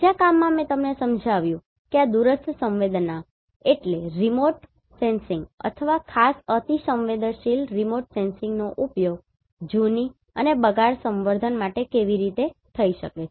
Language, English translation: Gujarati, In another work I explained you how this remote sensing or in particular hyperspectral remote sensing can be used for the aging and deterioration studies